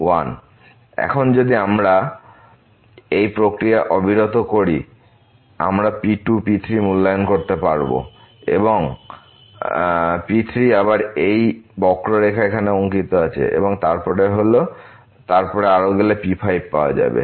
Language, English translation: Bengali, And now if we continue this process we can evaluate then , so again we have plotted here with this curve and then going further so we will get like